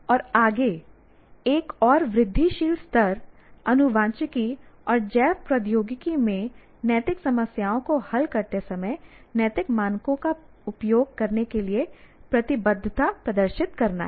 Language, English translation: Hindi, And further, another incremental level is display commitment to using ethical standards when resolving ethical problems in genetics and biotechnology